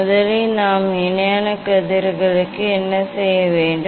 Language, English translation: Tamil, first what we have to do for parallel rays